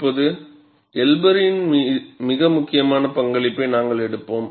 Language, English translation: Tamil, And now, we will take up a very important contribution by Elber